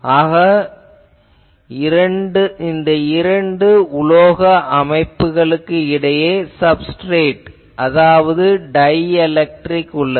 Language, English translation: Tamil, So, between the two these metallic structures, you have some substrate that is a dielectric